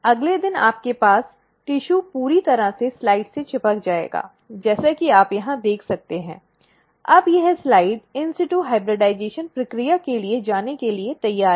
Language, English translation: Hindi, The next day you will have the tissue completely stuck to the slide as you can see over here and now this slide is ready to go for the process of in situ hybridization